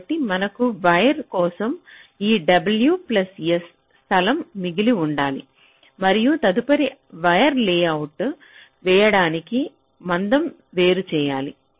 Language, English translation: Telugu, so we must have this w plus s amount of space left for the wire itself and also the separation before the next wire can be layout laid out